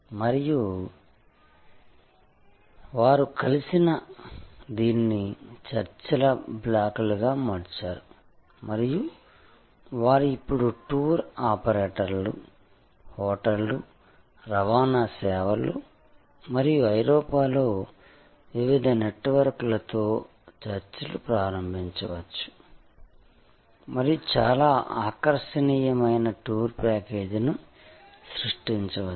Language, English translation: Telugu, And they are brought together this they become a negotiating block and they can now start negotiating with different networks of tour operators, hotels, transport services and so on in Europe and can create a very attractive tour package